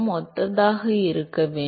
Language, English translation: Tamil, Must be similar